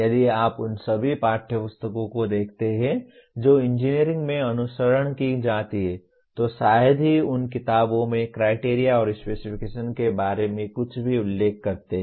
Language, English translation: Hindi, What happens if you look at all the text books that are followed in engineering we hardly the books hardly mention anything about criteria and specification